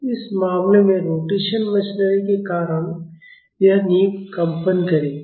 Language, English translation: Hindi, So, in this case, this foundation will vibrate because of the rotation machinery